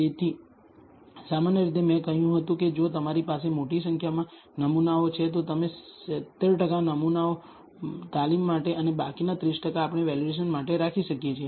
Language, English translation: Gujarati, So, typically as I said if you have a large number of samples, you can set apart 70 percent of the samples for training and the remaining 30 percent, we can use for validation